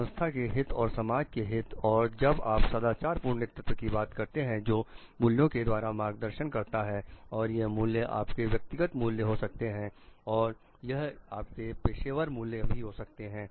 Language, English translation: Hindi, Interest of the organization and interest of the public at large and when you are talking of moral leadership which is guided by values and these values could be your personal value and it could be your professional values also